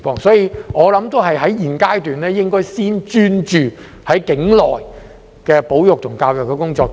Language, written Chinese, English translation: Cantonese, 因此，我認為在現階段應該先專注處理境內的保育、教育工作。, Therefore I think OP should focus on the conservation and education work in Hong Kong at this stage